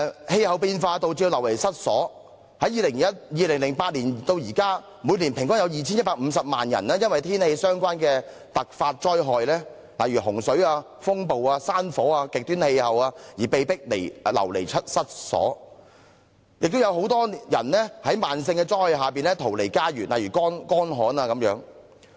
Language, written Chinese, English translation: Cantonese, 氣候變化導致人們流離失所，從2008年至今，每年平均有 2,150 萬人因為天氣相關的突發災害，例如洪水、風暴、山火、極端氣候而被迫流離失所，亦有很多人在慢性災害下逃離家園，例如乾旱等。, The threats of climate change will lead to forced displacement and an average of 21.5 million people were displaced from their home every year since 2008 as a result of sudden disasters related to extreme weather conditions such as floodings storms forest fires and extreme climates . A large number of people were also forced to flee under the threats of slowly developing disasters such as droughts